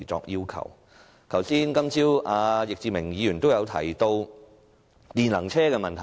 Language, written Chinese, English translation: Cantonese, 易志明議員今早提到電能車的問題。, This morning Mr Frankie YICK touched on the issue of electric vehicles